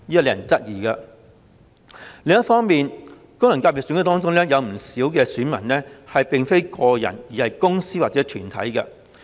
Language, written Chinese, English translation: Cantonese, 另一方面，功能界別選舉中的不少選民並非個人，而是公司或團體。, On the other hand the electorate of many FCs are not individuals but corporates or organizations